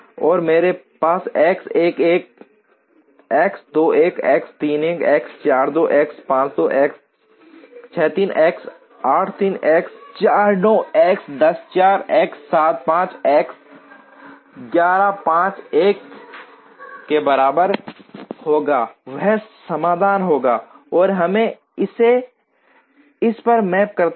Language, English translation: Hindi, And I will have X 1 1, X 2 1, X 3 1, X 4 2, X 5 2, X 6 3, X 8 3, X 9 4, X 10 4, X 7 5, X 11 5 equal to 1 that will be the solution, and we map it to this